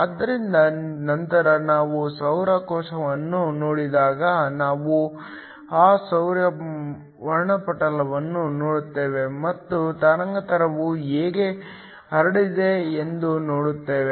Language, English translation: Kannada, So, later when we look at the solar cell we will see that solar spectrum and what is the wavelength spread